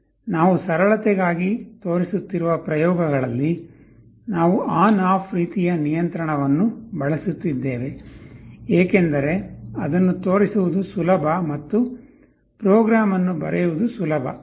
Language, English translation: Kannada, In the experiments that we shall be showing for simplicity, we shall be using on off kind of control, because it is easier to show and also easier to write the program